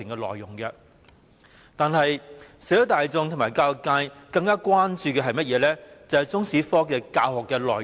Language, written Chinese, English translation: Cantonese, 可是，社會大眾和教育界更關注的，是中史科的教學內容。, However the general public and the education sector are more concerned about the curriculum of Chinese History